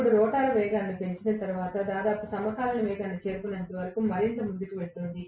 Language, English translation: Telugu, Now, once the rotor picks up speed, it will go further and further until it reaches almost synchronous speed